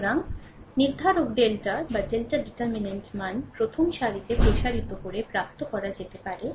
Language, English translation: Bengali, So, the value of the determinant delta can be obtained by expanding along the first row